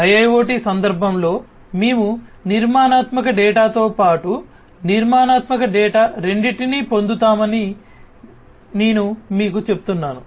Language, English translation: Telugu, So, I was telling you that in the context of IoT, IIoT, etcetera we will get both structured data as well as unstructured data